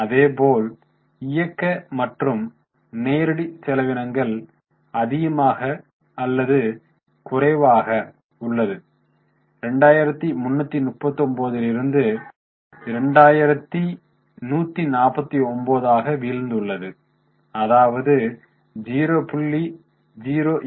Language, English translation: Tamil, Operating and direct expenses, there are more or less same from 2339 they have fallen to 2149, that is a fall of 0